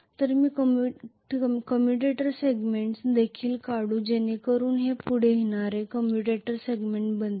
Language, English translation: Marathi, So let me draw the commutator segments also so these are going to be the commutator segments which are coming up like this,right